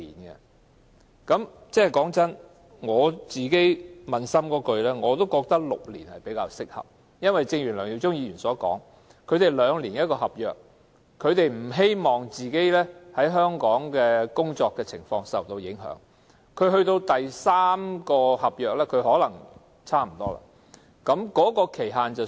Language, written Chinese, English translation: Cantonese, 坦白說，撫心自問，我也認為6年較適合，正如梁耀忠議員所言，他們每兩年簽署一份合約，不希望自己在香港的工作受到影響，到第三份合約可能才認為是時候舉報。, Honestly I too with all conscience consider 6 years more appropriate . As pointed out by Mr LEUNG Yiu - chung with a contract signed every two years they would not want to jeopardize their jobs in Hong Kong by making a report unless they are already in perhaps their third contract